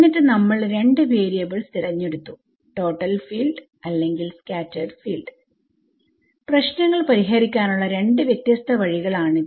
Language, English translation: Malayalam, And then we chose the two variables either total field or scattered field these are two different ways of solving a problem right